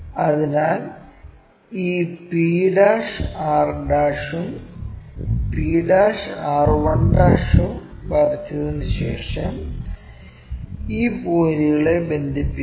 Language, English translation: Malayalam, So, after drawing this p' r', p' r' and also p' r 1' connecting these points